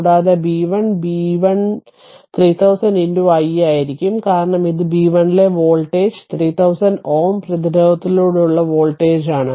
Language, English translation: Malayalam, And b 1, b 1 will be 3000 into your i because this is the voltage across b 1 is the voltage across the 3000 ohm resistance